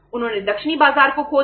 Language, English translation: Hindi, They lost the southern market